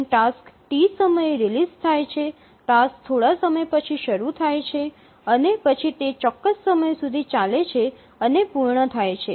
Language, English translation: Gujarati, So as the task is released at time T, the task execution starts after some time and then it executes and completes at certain time